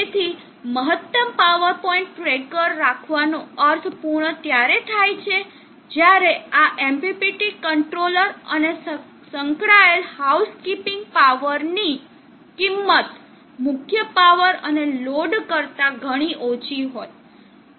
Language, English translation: Gujarati, So it makes sense to have a maximum power point tracker only if the cost of this MPPT controller and the associated housekeeping power is much lesser than the main power and the load